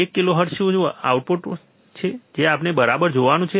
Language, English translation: Gujarati, One kilohertz what is the output that we have to see right